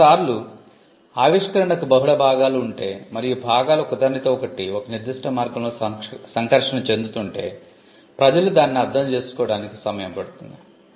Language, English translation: Telugu, Sometimes, if the invention has multiple parts and if the parts interact with each other in a particular way, it takes time for people to understand that